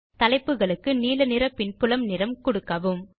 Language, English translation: Tamil, Give the background color to the headings as blue